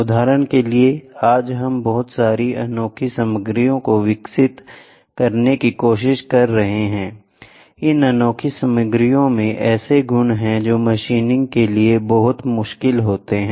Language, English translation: Hindi, For example, today we are trying to develop a lot of exotic materials, these exotic materials have properties which are very difficult to machine